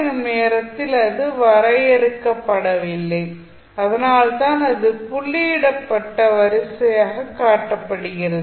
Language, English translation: Tamil, At t naught it is undefined so that is why it is shown as a dotted line